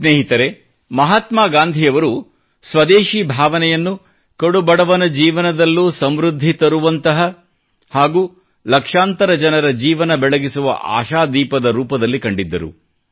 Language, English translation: Kannada, Friends, Mahatma Gandhi viewed this spirit of Swadeshi as a lamp illuminating the lives of millions as well as bringing prosperity in the lives of the poorest of the poor